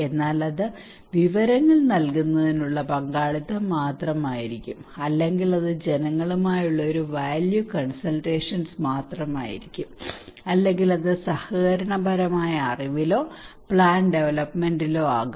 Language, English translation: Malayalam, But it could be just participatory means providing informations, or it could be just a value consultations with the people, or it could be at the collaborative knowledge or plan development